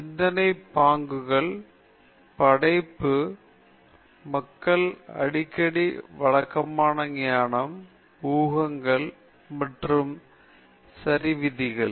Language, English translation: Tamil, Thinking styles creative people often question conventional wisdom, assumptions, and rules okay